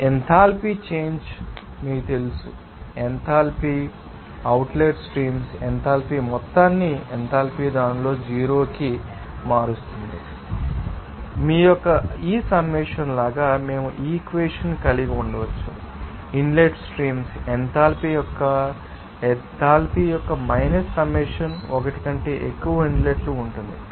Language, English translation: Telugu, So, the enthalpy change because of this you know, change of enthalpy in different you know inlet and outlet streams, we can say that this enthalpy overall enthalpy change it because to zero, so, we can have this equation as like this summation of you know enthalpy in outlet the streams minus summation of enthalpy in the inlet streams, there will be more than one inlet